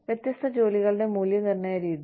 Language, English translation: Malayalam, The method of evaluation of different jobs